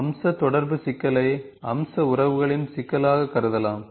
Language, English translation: Tamil, The feature interaction problem can be treated as a problem of feature relationship